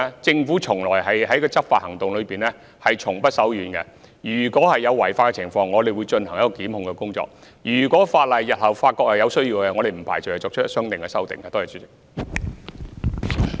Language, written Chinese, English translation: Cantonese, 政府在執法行動方面從不手軟，如有違法情況，我們會進行檢控工作；日後如果發現有需要修改法例，我們不排除會作出相應修訂。, The Government never relents in taking law enforcement actions . If there is any violation of the law we will take prosecution action . In future if we find that there is a need to make legislative amendments we will not rule out making them accordingly